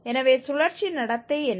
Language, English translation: Tamil, So, what is the cyclic behavior